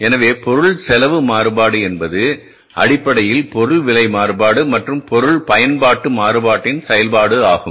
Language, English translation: Tamil, So, material cost variance is basically the function of material price variance and the material usage variance, right